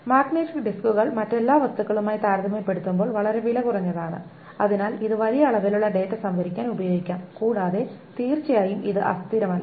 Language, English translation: Malayalam, Magnetic disks are quite cheap compared to all the other kinds of things and so it can be used to store a large number, large amount of data